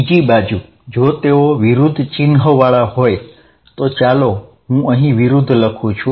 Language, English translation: Gujarati, On the other hand, if they are at opposite sign, so let me write opposite out here